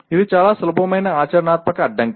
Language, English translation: Telugu, It is a very simple practical constraint